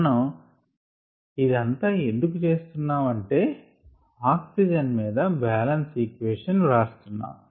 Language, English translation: Telugu, we did all this because we were writing a balance on oxygen bal